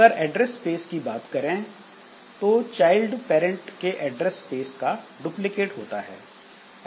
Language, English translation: Hindi, So, address space, so child is a duplicate of the parent address space